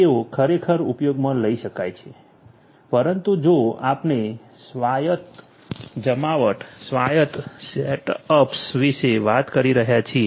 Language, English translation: Gujarati, They could indeed be used, but you know if we are talking about autonomous deployments, autonomous setups and so on